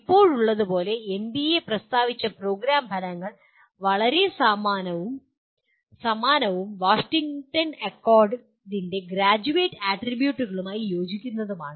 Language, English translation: Malayalam, And as of now, the program outcomes that are stated by NBA are very similar and in alignment with Graduate Attributes of Washington Accord